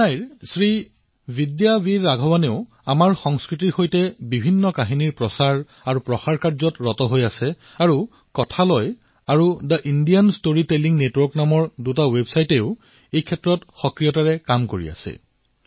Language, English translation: Assamese, Srividya Veer Raghavan of Chennai is also engaged in popularizing and disseminating stories related to our culture, while two websites named, Kathalaya and The Indian Story Telling Network, are also doing commendable work in this field